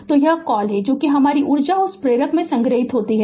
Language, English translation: Hindi, So, this is your what you call that your energy stored in that inductor right